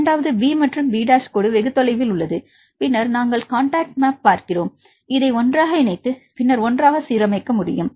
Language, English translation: Tamil, Something is the second is b and the b dash is very far then we see the contact map and this can be aligned together put it together